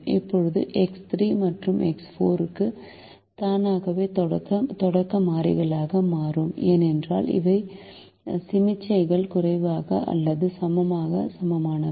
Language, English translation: Tamil, now x three and x four automatically become the starting variables, because these are inequalities with less than or equal to sign